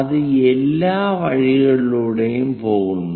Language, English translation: Malayalam, It is going all the way up